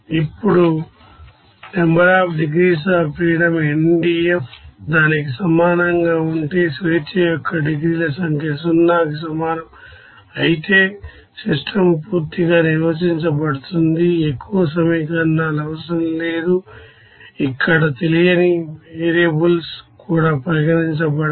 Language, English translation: Telugu, Now, if NDF is equal to that means number of degrees of freedom equals to 0 then system will be completely defined, there is no more equations required even no more you know unknown variables will be considered there